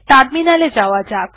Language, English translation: Bengali, Lets go to terminal